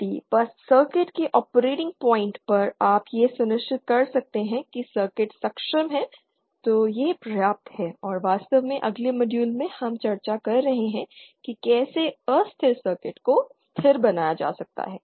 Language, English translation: Hindi, If just at the operating point of the circuit you can ensure that the circuit is stable then that is enough and in fact in the next module we shall be discussing how potentially unstable circuit can be made stable